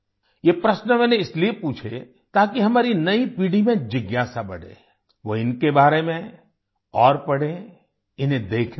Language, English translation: Hindi, I asked these questions so that the curiosity in our new generation rises… they read more about them;go and visit them